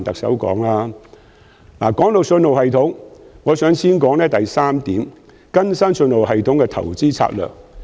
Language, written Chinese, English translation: Cantonese, 在信號系統方面，我想先談談原議案第三點，即"更新信號系統的投資策略。, Speaking of the signalling system I wish to begin with a discussion on point 3 of the original motion investment strategy of updating the signalling system